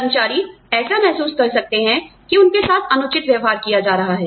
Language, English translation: Hindi, Employees may feel that, they are being treated unfairly